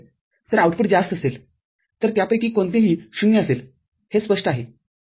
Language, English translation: Marathi, So, the output will be high is it clear so, any one of them being 0